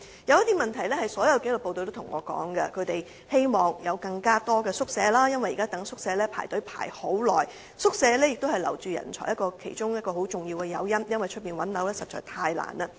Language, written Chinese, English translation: Cantonese, 有一些問題是所有紀律部隊均有向我反映的，例如他們希望有更多宿舍，因為現時輪候宿舍需時甚久，提供宿舍是留住人才其中一個相當重要的誘因，因為在外物色居所實在太難了。, Some concerns are shared by all disciplined forces such as their aspiration for the provision of more quarters since they are now required to wait for a very long time for allocation of quarters . Quarters allocation is one of the very important measures to retain talents because it is indeed very difficult to find a place for accommodation in the open market